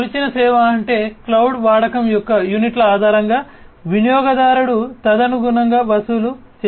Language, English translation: Telugu, Measured service means like you know based on the units of usage of cloud, the user is going to be charged accordingly